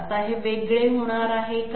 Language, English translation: Marathi, Now are these going to be different